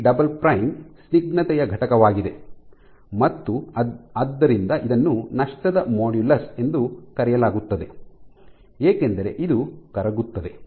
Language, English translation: Kannada, The G double prime is the viscous component and hence it is called the loss modulus because this is dissipated, this is dissipated